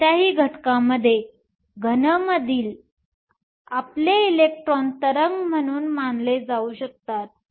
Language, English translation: Marathi, In any element, your electron in the solid can be treated as a wave